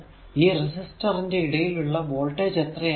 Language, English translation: Malayalam, So, what is the voltage difference across the resistor terminal